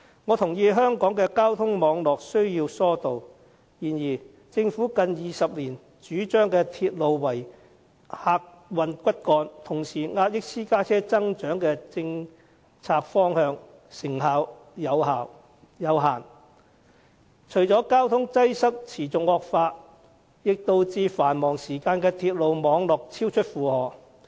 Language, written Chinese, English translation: Cantonese, 我認同香港的交通網絡需要疏導，然而，政府近20年主張以鐵路為客運骨幹，同時壓抑私家車增長的政策方向成效有限，除了令交通擠塞持續惡化外，也導致繁忙時間的鐵路網絡超出負荷。, I agree that load diversion is required for the traffic networks in Hong Kong . In the past 20 years the Government has advocated railways as the backbone of transport services and suppressed the growth of private vehicles . Yet the effectiveness of this policy direction is limited